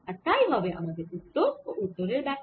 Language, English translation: Bengali, that is the interpretation of our answer